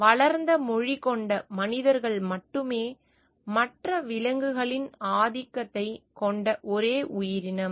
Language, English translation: Tamil, We are the only creatures with developed language humans have a domination of overall other animals